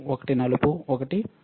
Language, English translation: Telugu, One is black, one is red right